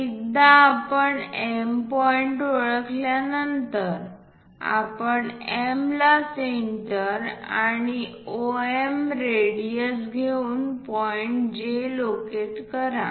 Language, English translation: Marathi, Once we identify M point, what we have to do is use M as centre and radius MO to locate J point